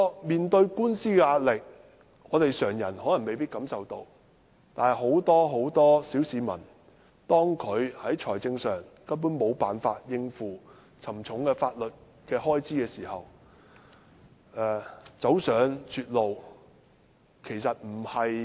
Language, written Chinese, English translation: Cantonese, 面對官司的壓力，常人可能未必感受到，但對很多小市民來說，當他們在財政上無法應付沉重的法律開支時，走上絕路並非很意外的事。, Not everyone will experience this pressure of lawsuits yet to the average citizen it is not unforeseeable that he may come to a dead end when he cannot afford the heavy legal costs